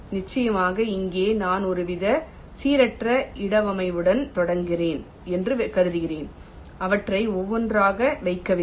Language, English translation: Tamil, of course, here i am assuming that i am starting with some kind of a random placement, not placing them one by one